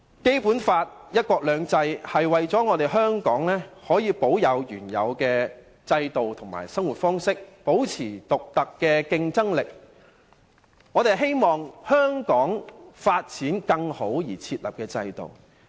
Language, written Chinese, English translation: Cantonese, 《基本法》及"一國兩制"的原則是為了讓香港可以保持原有制度及生活方式，並保持其獨特的競爭力，以期香港能有更佳發展。, Both the Basic Law and the principle of one country two systems aim to allow Hong Kongs previous capitalist system to remain unchanged for the sake of maintaining the unique competitiveness of Hong Kong so that it will achieve better development